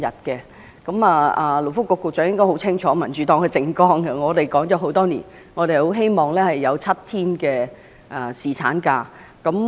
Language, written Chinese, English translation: Cantonese, 勞工及福利局局長應該很清楚民主黨的政綱，我們提議了這政策很多年，希望僱員能有7天的侍產假。, The Secretary for Labour and Welfare should be very clear about the Democratic Partys platform . We have been proposing this policy for many years and hope that employees can have seven days of paternity leave